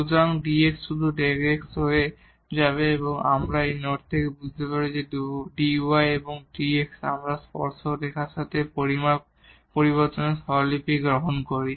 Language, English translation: Bengali, So, the dx will become just the delta x or we can understood from this note that dy and dx we take the notation the measure changes along the tangent line